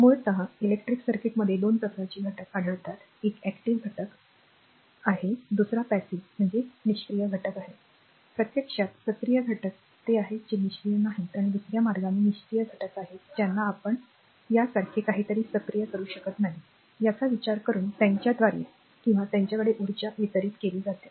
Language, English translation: Marathi, So, basically there are 2 types of elements found in electric circuit one is active element, another is passive elements, actually active elements are those, which are not passive or in the other way passive elements are those we cannot active something like this right, by considering the energy delivered to or by them right